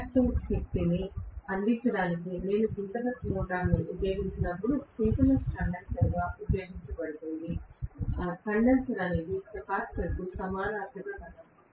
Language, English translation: Telugu, When I use a synchronous motor for providing for the reactive power, we may call that as synchronous condenser